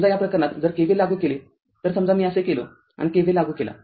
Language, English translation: Marathi, So, in this case if you apply your KVL suppose if I go like this and i apply your KVL